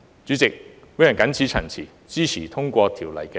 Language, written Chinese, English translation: Cantonese, 主席，我謹此陳辭，支持通過《條例草案》二讀。, With these remarks President I support the passage of the Second Reading of the Bill